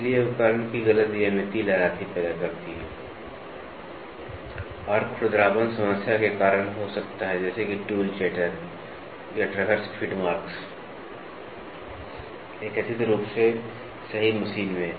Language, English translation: Hindi, So, incorrect geometry of the tool produces waviness and roughness may be caused by the problem such as tool chatter or traverse feed marks in a supposedly geometrically perfect machine